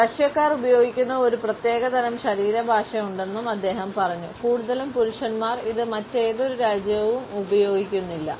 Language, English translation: Malayalam, He added there were a one specific type of body language used by Russians mostly men and by no other nations that is a Soviet face miss